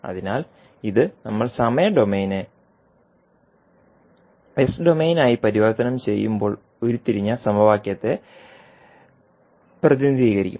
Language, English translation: Malayalam, So, this you can see that will represent the equation which we just derived while we were transforming time domain into s domain